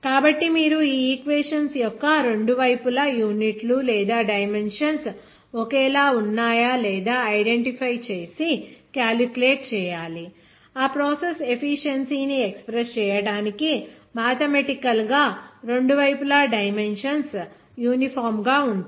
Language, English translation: Telugu, So you have to identify and calculate the units or dimensions of both sides of the equations whether the dimensions are the same or not that will be actually uniform in dimensions on both sides to express that process efficiency by mathematics